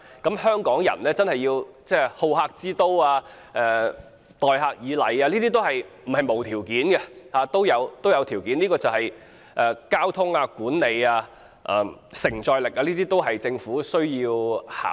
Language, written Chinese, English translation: Cantonese, 要香港維持好客之都的聲譽，要香港人待客以禮，不是沒有條件，而是需要交通、管理及承載力方面的配合，這些都是政府需要考慮的事。, If we want to maintain Hong Kongs reputation as a hospitable city and Hong Kong people to treat visitors politely certain conditions are required that is support is needed in terms of transport management and visitor receiving capacity . These are all factors that the Government needs to consider